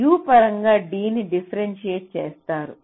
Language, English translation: Telugu, we differentiate d with respect to u